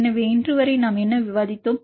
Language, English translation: Tamil, So, till now what did we discuss today